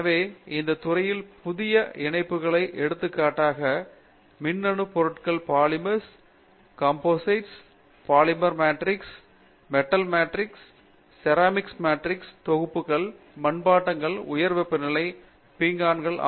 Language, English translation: Tamil, So so, in that connection a lot of newer areas for example, Electronic materials, Polymers, Composites, when I say Composite it would be Polymer matrix composites, Metal matrix composites, Ceramic matrix composites, Ceramics high temperature ceramics